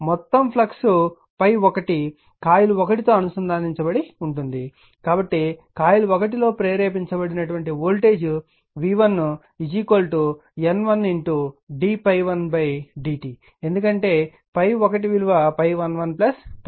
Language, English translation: Telugu, Since the entire flux phi 1 links coil 1 the voltage induce in coil 1 will be v 1 is equal to N 1 into d phi 1 upon d t because phi 1 is equal to phi 1 1 plus phi 1 2